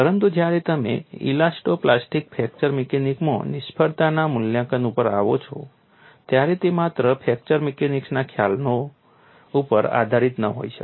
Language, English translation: Gujarati, We say that we want to do fracture mechanics analysis, but when you come to failure assessment in elasto plastic fracture mechanics, it cannot be based on fracture mechanics concepts alone